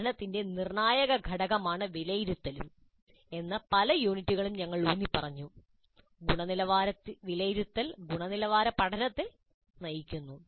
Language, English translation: Malayalam, This in any number of units we have emphasized that this is a crucial component of the learning, quality assessment drives quality learning